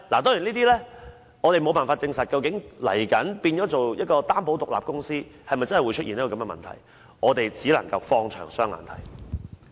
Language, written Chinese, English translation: Cantonese, 當然，我們無法證實究竟未來變成擔保獨立公司後，是否真的會出現這個問題，我們只能放遠眼光來觀察。, Of course we have no way to prove whether FSDC will have this problem after it is incorporated as a company limited by guarantee . We can only keep this issue in view for a longer time